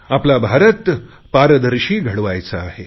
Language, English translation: Marathi, We have to make a transparent India